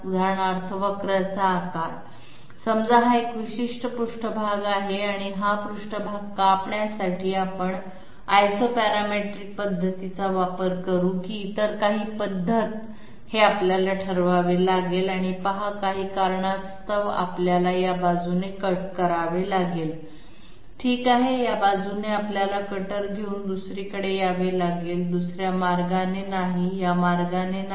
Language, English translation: Marathi, The very shape of the curve for example Say this is a particular surface and this in order to cut this surface we are we have to decide whether we will go for Isoparametric method or some other method and see due to some reason we have to cut from this side okay from this side we have to come take the cutter to the other side, not the other way not this way